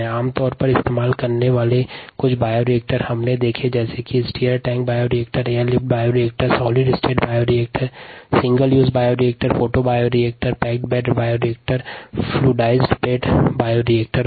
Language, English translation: Hindi, some commonly used bioreactors we saw, such as the stirred tank bioreactor, the air lift bioreactor, the solid state bioreactor, ah, single used bioreactors, photo bioreactors, packed bed bioreactors, fluidized spread bioreactors, and so on